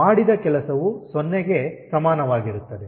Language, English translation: Kannada, work done is equal to zero